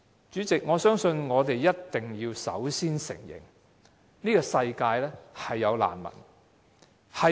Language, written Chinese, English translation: Cantonese, 主席，我覺得我們首先要承認，這個世界的確存在難民。, President we must first admit that refugees do exist in this world